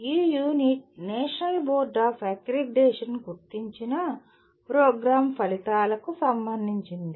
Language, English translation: Telugu, This unit is related to the Program Outcomes as identified by National Board of Accreditation